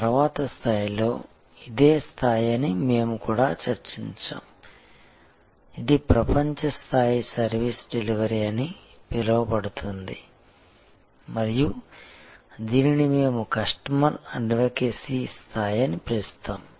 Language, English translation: Telugu, And we had also discussed that in the next level, this is the level, which is world class service delivery called by chase and hayes and we have called it customer advocacy level